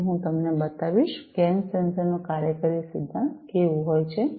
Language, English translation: Gujarati, So, I will show you how the working principle of a gas sensor is